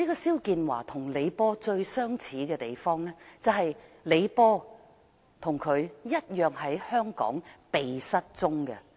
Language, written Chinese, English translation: Cantonese, 肖建華與李波最相似的地方，就是李波與他同樣在香港"被失蹤"。, XIAO Jianhua is most similar to LEE Po who was also embroiled in a forced disappearance incident